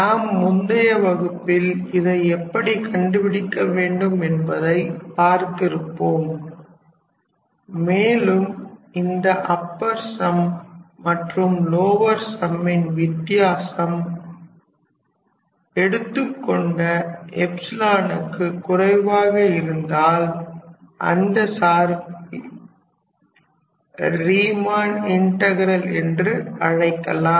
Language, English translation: Tamil, In the last class we have seen that how we calculate the upper sum and lower sum and if the difference of the upper sum and lower sum is less than this chosen epsilon, then in that case that particular function is said to be Riemann integrable